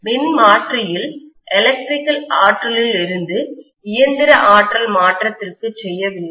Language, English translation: Tamil, So I am not doing electrical to mechanical energy conversion in the transformer case